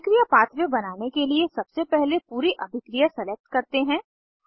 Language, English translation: Hindi, To create a reaction pathway, first select the complete reaction